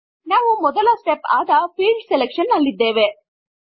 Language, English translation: Kannada, We are in step 1 which is Field Selection